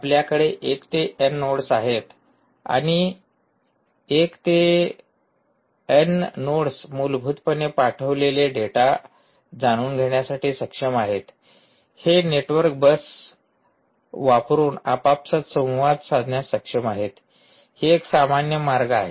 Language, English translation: Marathi, you have one to n nodes and this one to n nodes essentially are able to ah, ah, you know, send data, are able to communicate amongst themselves using this network bus